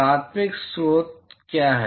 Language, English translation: Hindi, What is the primary source